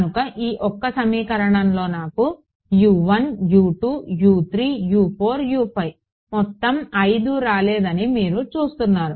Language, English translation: Telugu, So, you see that I did not get all 5 all 5 U 1 U 2 U 3 U 4 U 5 I did not get in this one equation